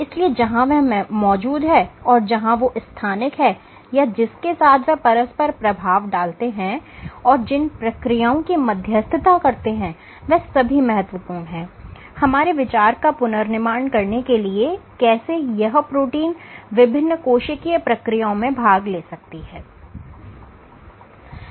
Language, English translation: Hindi, So, where they exist, where are they localized, with whom do they interact and what processes they mediate are all important to reconstruct our picture of how these proteins might be participating in various cellular processes ok